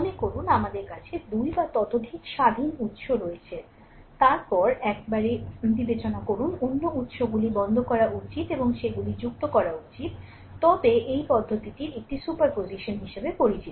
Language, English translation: Bengali, Suppose we have 2 or more independent sources, then you consider one at a time other sources should be your turn off right and you add them up right, then these approach is known as a super position